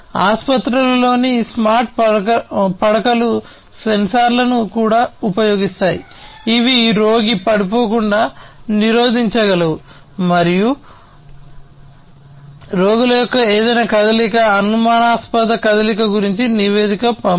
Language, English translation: Telugu, Smart beds in the hospitals also use sensors that prevent the patient from being falling down and sending report about any kind of movement, suspicious movement of the patients